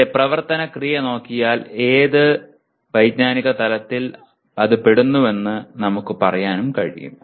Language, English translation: Malayalam, By looking at its action verb we can say what cognitive level does it belong to